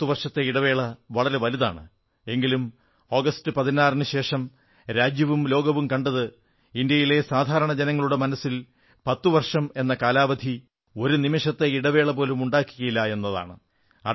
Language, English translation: Malayalam, Ten years is a huge gap but on 16th August our country and the whole world witnessed that there was not a gap of even a single moment in the commonman's heart